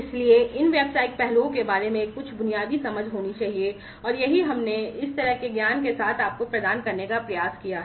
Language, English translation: Hindi, So, there has to be some basic understanding about these business aspects, and this is what we have tried to ensure imparting you with this kind of knowledge